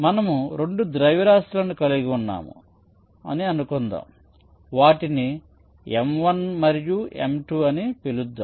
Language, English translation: Telugu, so let see, suppose we have two masses, lets call them m one and m two, that are connected by a spring